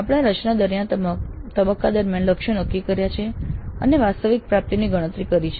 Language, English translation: Gujarati, We have set the targets during the design phase and now we compute the actual attainment